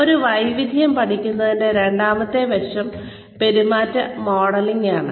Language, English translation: Malayalam, The second aspect of learning a skill, is behavior modelling